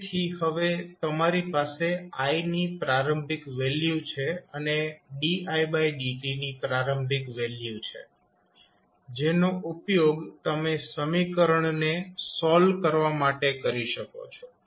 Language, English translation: Gujarati, So, now you have the initial value of I and initial value of di by dt in your hand which you can utilize to solve the equation